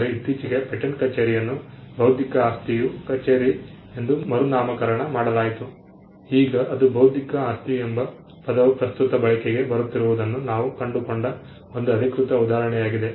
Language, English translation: Kannada, But recently the patent office was rebranded into the intellectual property office, now so that is one official instance where we found the term intellectual property getting into current usage